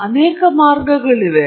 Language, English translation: Kannada, There are many ways